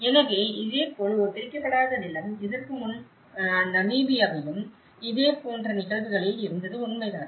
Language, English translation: Tamil, So, similarly, an unsubdivided land, so earlier, it was true in similar cases of Namibia as well